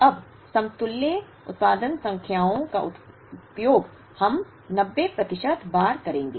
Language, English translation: Hindi, Now, the equivalent production numbers will be we have used for 90 percent of the times